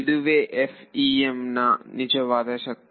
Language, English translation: Kannada, That is the real power of FEM